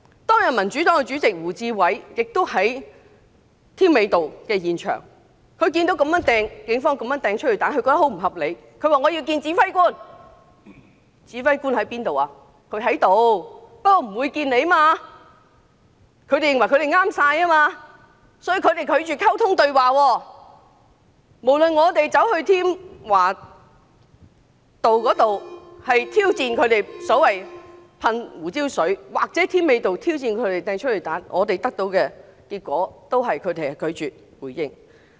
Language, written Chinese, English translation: Cantonese, 當日民主黨主席胡志偉議員亦在添美道現場，他見到警方這樣亂投催淚彈，覺得很不合理，要求與指揮官見面，指揮官雖然在場，但拒絕見他，因為他們認為警方的做法正確，故此拒絕溝通對話，無論我們走到添華道挑戰他們噴射胡椒水或走到添美道挑戰他們投擲催淚彈，我們得到的結果都是拒絕回應。, Seeing the indiscriminate firing of tear gas canisters by the Police he demanded to meet the Police commander on scene . The commander on scene refused to meet Mr WU because he thought that the Police had acted appropriately and thus refused to have any communication or dialogue . Whether we challenged the Police for pepper spraying people at Tim Wa Avenue or for firing tear gas canisters at Tim Mei Avenue the Police refused to respond